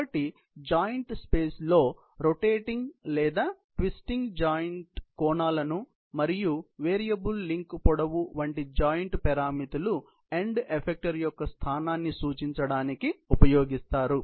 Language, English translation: Telugu, So, in the joint space, the joint parameters such as rotating or twisting joint angles and variable link lengths, are used to represent the position of the end effector